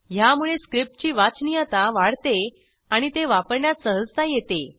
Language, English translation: Marathi, * This improves overall script readability and ease of use